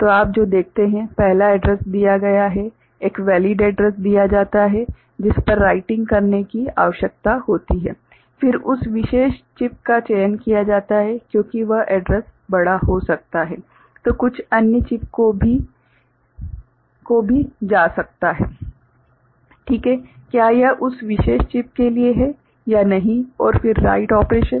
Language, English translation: Hindi, So, what you see that, first address is made you know, a valid address is put on which where the writing needs to be done ok, then that particular chip is selected because that address could belong to some other you know chip also ok whether it is meant for that specific chip or not And, then the write operation